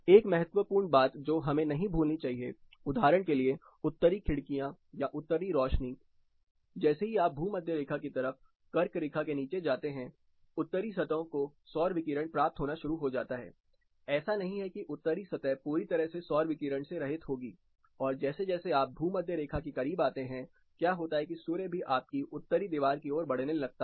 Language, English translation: Hindi, One important thing which we should not forget is the use of for example, Northern windows or north lights as you go down the tropic of cancer towards equator, Northern surfaces start receiving solar radiation, it is not that Northern surfaces are totally divide of solar radiation and as you get closer to equator, what happens is suns starts traversing towards your Northern wall as well